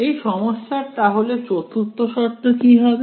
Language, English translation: Bengali, What will that 4th condition be